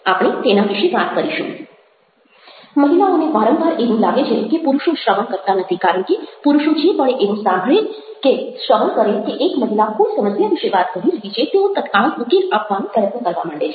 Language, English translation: Gujarati, women often feel that men are not listening because men, the moment they listen and hear that a woman is talking about a problem, immediately attempts to give a solution